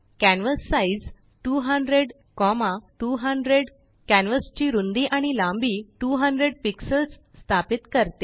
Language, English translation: Marathi, canvassize 200,200 sets the canvas width and height to 200 pixels